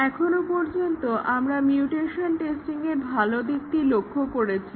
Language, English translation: Bengali, But, so far we looked at only very positive aspects of mutation testing